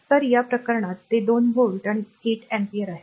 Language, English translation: Marathi, So, in this case it is 2 volt and 8 ampere